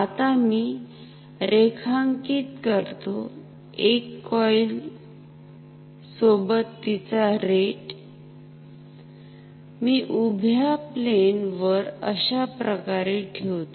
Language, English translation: Marathi, So, let me draw say one coil with rate which I was which I will put on this vertical plane like this